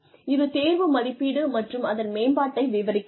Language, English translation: Tamil, That describes, selection appraisal and development